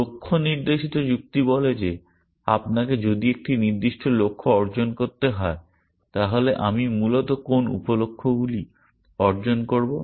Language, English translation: Bengali, Goal directed reasoning says that if you have to achieve a certain goal, what sub goals should I achieve essentially